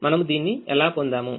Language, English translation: Telugu, how did we get this